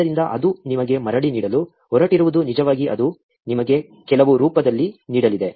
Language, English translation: Kannada, So, what it is going to give you back is actually, it is going to give you in some format